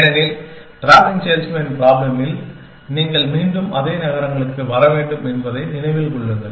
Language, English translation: Tamil, Because, remember that in the travelling salesman problem, you have to come back to the same cities